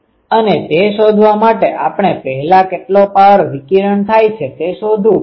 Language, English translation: Gujarati, And, to find that we will have to first find how much power is getting radiated